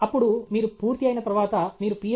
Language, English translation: Telugu, After you finish your Ph